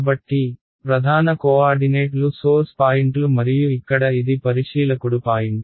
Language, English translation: Telugu, So, the prime coordinates are the source points and this over here is the observer point